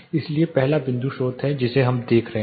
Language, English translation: Hindi, So, first is point source which we have been looking at